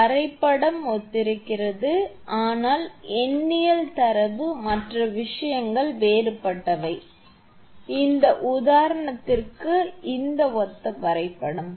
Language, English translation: Tamil, Diagram is similar, but numerical data other things are different, but this is similar diagram for this example also